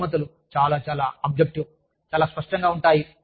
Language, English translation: Telugu, Rewards can be, very, very objective, very tangible